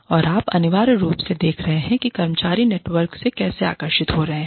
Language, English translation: Hindi, And, you are essentially looking at, how the employees are drawing, from the network